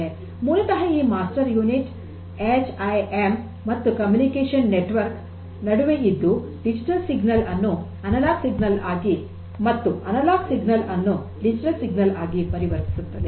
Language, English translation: Kannada, So, this basically these master units sits in between the HMI and the communication network and converts the digital signals to analog and analog to digital and vice versa